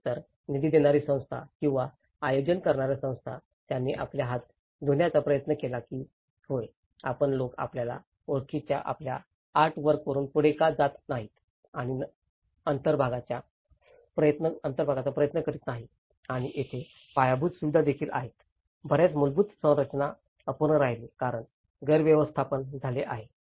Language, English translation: Marathi, Either the funding institutions or the organizing institutions, they try to wash away their hands that yes, why donít you guys carry on with your artwork you know and try to fill the gap and also there has been infrastructure, many of the infrastructures has remained unfinished because there has been mismanagement